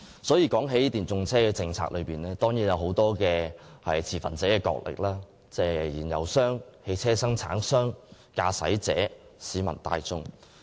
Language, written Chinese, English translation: Cantonese, 所以，談到電動車政策，當然涉及眾多持份者角力，例如燃油商、汽車生產商、駕駛者及市民大眾。, So speaking of any discussion on an EV policy it will certainly involve a tug - of - war among various stakeholders such as fuel companies automotive manufacturers drivers and the general public